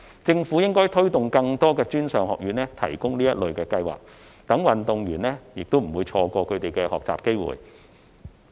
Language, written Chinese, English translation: Cantonese, 政府應該推動更多專上院校提供這類計劃，讓運動員不會錯失學習機會。, The Government should promote the offering of such kind of schemes by more institutes of higher education so that athletes will not miss their opportunities to learn